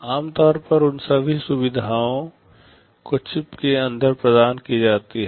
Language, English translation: Hindi, Typically all those facilities are provided inside the chip